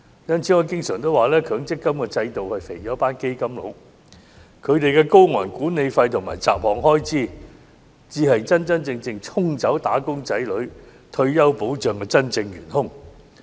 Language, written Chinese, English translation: Cantonese, 因此，我常說強積金制度是肥了"基金佬"，他們的高昂管理費和雜項開支才是沖走"打工仔女"退休保障的真正元兇。, Therefore I often say that the only beneficiaries of the MPF System are the fund managers . Their expensive management fees and miscellaneous expenses are the real culprits that sweep away the retirement protection of wage earners